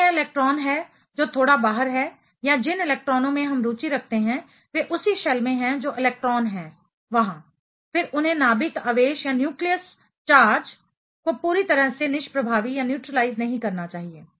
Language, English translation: Hindi, If it is the electron which is little bit outside or the electrons we are interested in the same shell those electrons are there, then they should not be neutralizing the nucleus charge completely